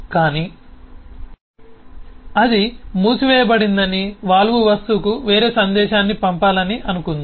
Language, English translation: Telugu, but suppose it wants to send a different message to the valve object saying it is closed